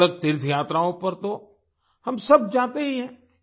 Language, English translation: Hindi, All of us go on varied pilgrimages